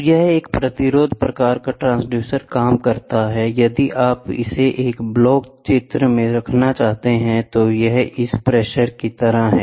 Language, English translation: Hindi, So, this is how a resistance type transducer works, if you wanted to put it in a block diagram so, it is like this pressure, ok